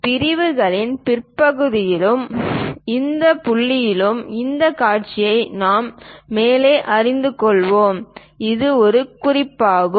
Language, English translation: Tamil, We will learn more about these views in later part of the sections and this point, tip we will see it is something like that